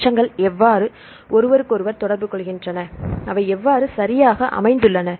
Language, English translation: Tamil, Where how these residues interact with each other and how they are located right